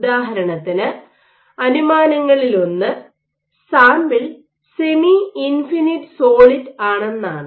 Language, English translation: Malayalam, For example, one of the assumptions is the sample is semi infinite solid